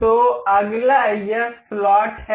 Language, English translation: Hindi, So, next one is this slot